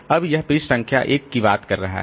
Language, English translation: Hindi, Now it is referring to page number 1